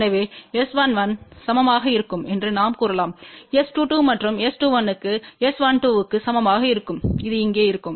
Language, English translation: Tamil, So, we can say that S 11 will be equal to S 22 and S 21 will be equal to S 12 which will be same as this here